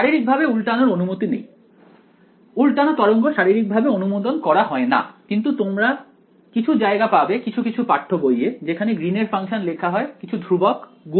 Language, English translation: Bengali, Invert is physically not allowed; invert waves are not physically allowed, but still you will find some places where, in some text books you will find the Green’s function written as some constant times H naught 1 kr